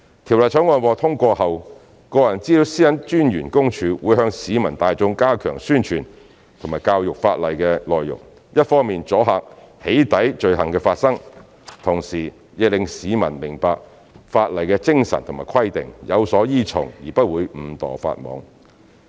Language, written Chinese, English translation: Cantonese, 《條例草案》獲通過後，私隱公署會向市民大眾加強宣傳和教育法例的內容，一方面阻嚇"起底"罪行的發生，同時亦令市民明白法例的精神和規定，有所依從而不會誤墮法網。, After the Bill is passed PCPD will step up publicity and education of the legislation to deter the occurrence of doxxing offences on the one hand and to enable the public to understand the spirit and requirements of the legislation so that they will not be caught by the law inadvertently on the other